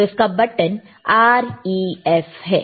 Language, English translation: Hindi, So, that is a button for REF, all right